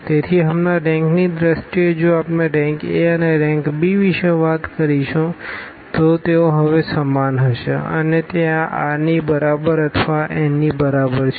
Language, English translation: Gujarati, So, in terms of the rank now if we talk about the rank of the A and rank of the A b, so, they will be the same now and that is equal to this r or equal to this n